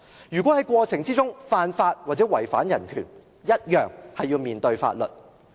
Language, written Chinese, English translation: Cantonese, 如果政府在過程中犯法或違反人權，一樣要面對法律。, If the Government commits an offence or violates human rights in the process it also has to face the law